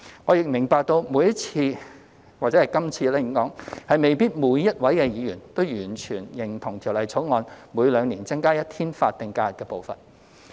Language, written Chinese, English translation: Cantonese, 我亦明白每次——或應說是今次——未必每位議員都完全認同《條例草案》每兩年增加一天法定假日的步伐。, I also understand that every time―or I should say this time―not every Member may fully agree to the pace of increasing the number of SHs with one additional day every two years as proposed in the Bill